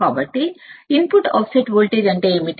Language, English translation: Telugu, So, what is input offset voltage